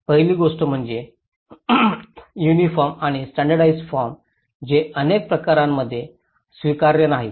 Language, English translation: Marathi, The first thing is the uniform and standardized forms which are not acceptable many cases